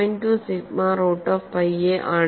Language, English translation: Malayalam, 2 sigma root of pi a